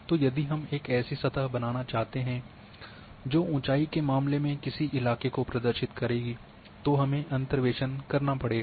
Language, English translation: Hindi, So, if we want to create a surface that will represent the terrain in case of elevation then we go for interpolation